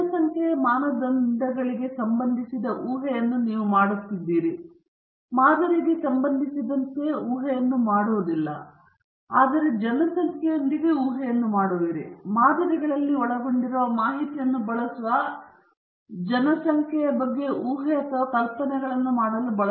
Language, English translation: Kannada, You are making hypothesis pertaining to the parameters of the population; you are not making hypothesis with respect to the sample, but with the population; but in order to make suppositions or hypothesis regarding the population we use the information contained in the samples